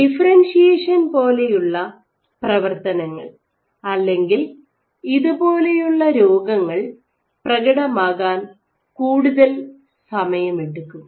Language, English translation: Malayalam, So, processors like differentiation or any of these diseases are take much more longer time to manifest